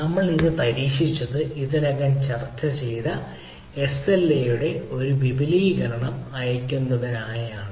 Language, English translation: Malayalam, so what we tried, this is a what we send, a extension of the sla already we have discussed